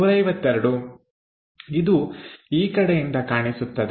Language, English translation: Kannada, So, 152 will be visible in that direction